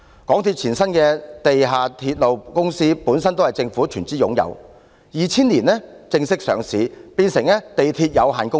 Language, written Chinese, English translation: Cantonese, 港鐵公司前身的地下鐵路公司本來也是政府全資擁有，在2000年正式上市，變成地鐵有限公司。, The Mass Transit Railway Corporation which is the precursor to MTRCL was also wholly owned by the Government and in 2000 it was formally listed and became the MTR Corporation Limited